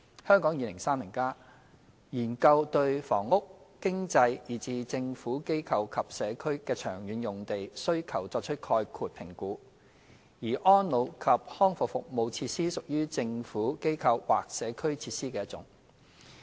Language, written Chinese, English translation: Cantonese, 《香港 2030+》研究對房屋、經濟以至"政府、機構或社區"的長遠用地需求作出概括評估，而安老及康復服務設施屬於"政府、機構或社區"設施的一種。, Hong Kong 2030 study is a broad - brush assessment on the long - term land requirements of various uses including housing economic as well as Government Institution and Community GIC facilities and facilities for the elderly and persons with disabilities PWDs are among GIC category